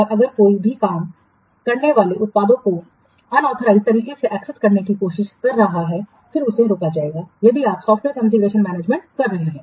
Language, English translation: Hindi, So, if anybody is trying to assess the work products unauthorized way, then that will be prevented if you are having software confusion management